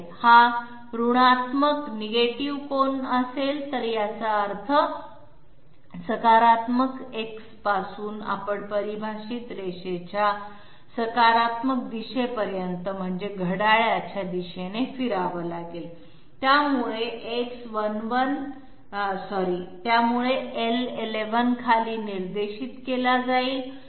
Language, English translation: Marathi, If negative angle is given, it means from positive X we have to move clockwise okay till we reach the positive direction of the defined line, so L11 is directed downwards